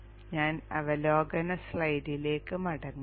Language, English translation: Malayalam, Let me get back to the overview slide